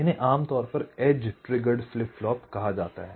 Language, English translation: Hindi, these are typically called edge trigged flip flop